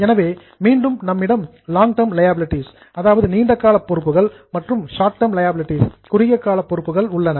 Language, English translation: Tamil, So, again, you have got long term liability, short term liabilities